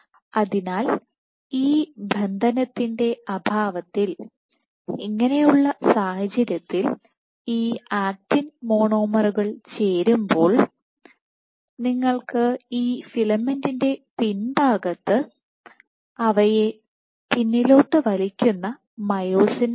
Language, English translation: Malayalam, So, in the absence of this connection when, in this case when these actin monomers get engaged, at the rear end in this filament you have myosin which pulls on this, causing this myosin pulling on it causes retrograde flow